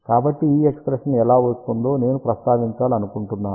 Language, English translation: Telugu, So, I just want to mention how this expression comes into picture